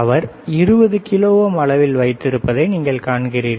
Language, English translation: Tamil, You see resistance he has kept around 20 kilo ohm